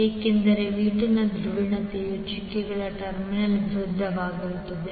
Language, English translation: Kannada, Because the polarity of V2 is opposite the doted terminal is having the negative